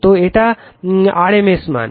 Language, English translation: Bengali, So, it is rms value